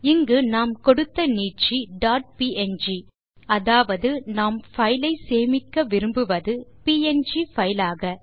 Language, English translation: Tamil, Here we have used an extension dot png which means we want to save the image as a PNG file